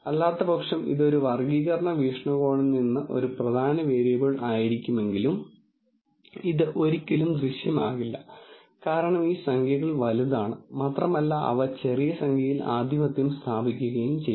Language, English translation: Malayalam, Otherwise while this might be an important variable from a classification viewpoint, it will never show up, because these numbers are bigger and they will simply dominate the small number